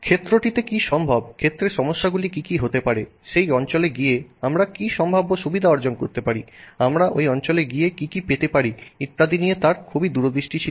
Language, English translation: Bengali, He had a very nice foresight as to what was possible in the field, what were likely to be issues in the field, what potential advantages we could get by going into that area, etc